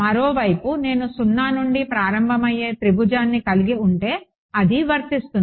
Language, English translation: Telugu, On the other hand if I had a triangle starting from zero, then it is fine ok